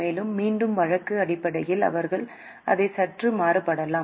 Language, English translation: Tamil, And again from case to case basis, they can vary it a bit